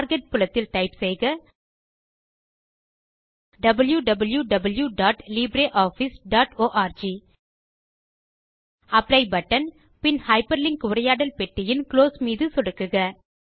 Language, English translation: Tamil, In the Target field, type www.libreoffice.org Click on the Apply button and then click on the Close button in the Hyperlink dialog box